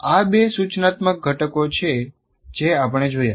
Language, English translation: Gujarati, These are the two instructional components that we looked at